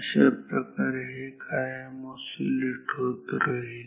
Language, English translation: Marathi, This way it will oscillate forever